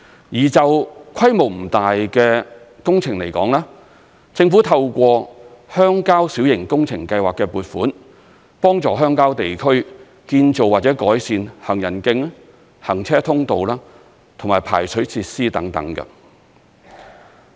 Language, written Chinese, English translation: Cantonese, 而就規模不大的工程來說，政府透過鄉郊小型工程計劃的撥款，幫助鄉郊地區建造或改善行人徑、行車通路和排水設施等。, Speaking of works projects that are not large in scale the Government will assist rural areas in constructing or improving their footways vehicular access and drainage facilities with funding from the Rural Public Works Programme